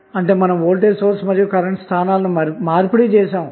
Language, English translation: Telugu, So, that means that you can exchange the locations of Voltage source and the current